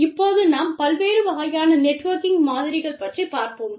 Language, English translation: Tamil, Now, we will move on to the models, we have talked about, different types of networking